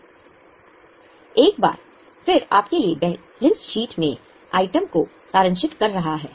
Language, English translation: Hindi, This is once again summarizing the items in the balance sheet for you